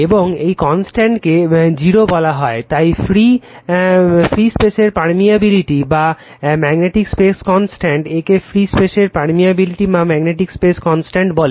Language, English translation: Bengali, And this constant is defined as mu 0, so the permeability of free space or the magnetic space constant right, it is called permeability of free space or the magnetic space constant